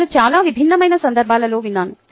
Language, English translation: Telugu, i have heard it in many different contexts